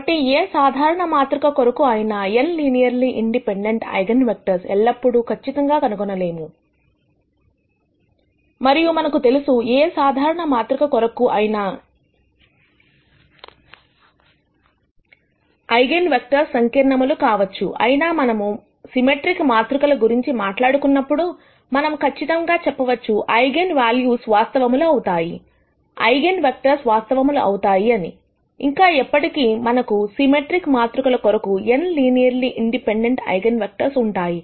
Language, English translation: Telugu, So, finding n linearly independent eigenvectors is not always guaranteed for any general matrix and we already know that eigenvectors could be complex for any general matrix; however, when we talk about symmetric matrices, we can say for sure that the eigenvalues would be real, the eigenvectors would be real, further we are always guaranteed that we will have n linearly independent eigenvectors for symmetric matrices